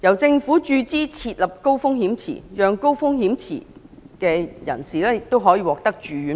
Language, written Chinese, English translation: Cantonese, 政府注資設立的高風險池，讓高風險人士獲得住院保障。, By funding HRP the Government would provide high - risk individuals with hospital indemnity